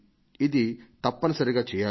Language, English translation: Telugu, This was necessary